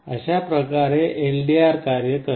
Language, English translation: Marathi, This is how LDR works